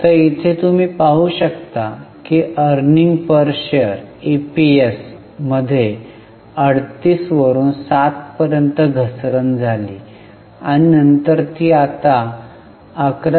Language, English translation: Marathi, So, here you can see there was a fall in EPS from 38 to 7 and then it has increased now to 11